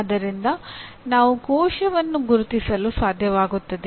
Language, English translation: Kannada, So we are labeling the, we are able to identify a cell